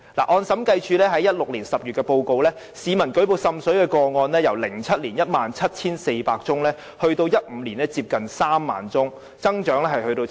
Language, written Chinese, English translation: Cantonese, 按照審計署2016年10月的報告，市民舉報滲水個案數目由2007年的 17,400 宗，上升至2015年近 30,000 宗，增長達七成。, Third the technology used by the Joint Office to investigate water seepage cases is very backward . As shown by the Director of Audits Report in October 2016 the number of water seepage complaints from the public rose from 17 400 in 2007 to 30 000 in 2015 with an increase rate of 70 %